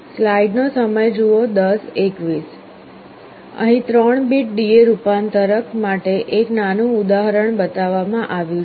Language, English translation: Gujarati, One small example is shown here for a 3 bit converter